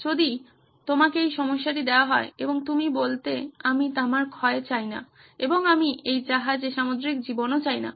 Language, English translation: Bengali, If you were given this problem and you would have said I want no copper corrosion and I do not want marine life on this ship